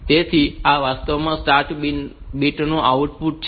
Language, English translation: Gujarati, So, this actually output the start bit